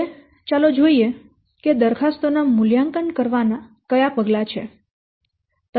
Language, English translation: Gujarati, Now let's see what are the steps of the evaluation of the proposals